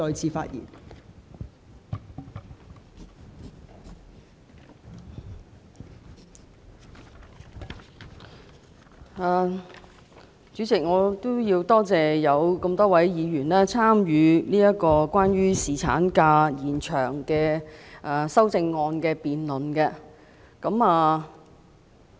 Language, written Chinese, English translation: Cantonese, 代理主席，我感謝多位議員參與有關延長侍產假的修正案的辯論。, Deputy Chairman I would like to thank Members for participating in the debate on the amendments seeking to extend paternity leave